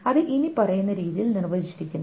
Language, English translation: Malayalam, It is defined in the following way